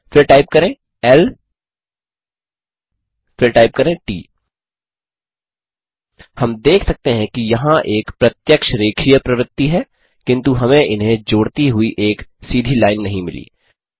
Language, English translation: Hindi, Then type l Secondly type t We can see that there is a visible linear trend, but we do not get a straight line connecting them